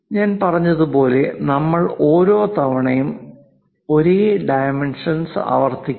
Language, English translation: Malayalam, And like I said, we do not repeat the same dimensions every time